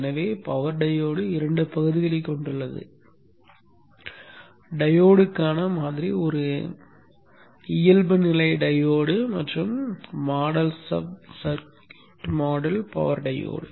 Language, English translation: Tamil, So the power diode is consisting of two parts, a model for the diode default diode and the sub circuit model for the power diode